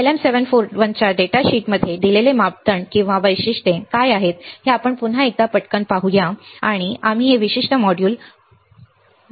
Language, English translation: Marathi, Let us quickly see once again what are the day, what is what are the parameters or the characteristics given in the data sheet of LM741 and we will end this particular module all right